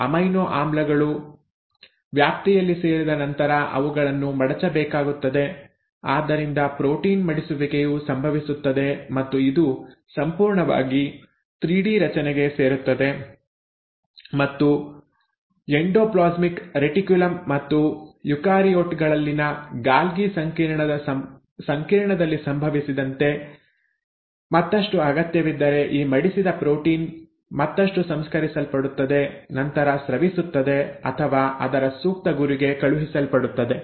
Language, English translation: Kannada, So after the amino acids have joined in the range, they have to be folded, so protein folding happens and this gets completely into a 3 D structure and if further required as it happens in endoplasmic reticulum and the Golgi complex in eukaryotes this folded protein will get further processed and then secreted or sent to its appropriate target